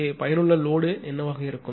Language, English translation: Tamil, Then what will be the effective load here